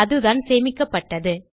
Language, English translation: Tamil, Thats what has been stored